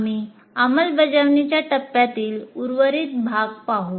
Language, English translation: Marathi, We will continue to look at the remaining part of the implement phase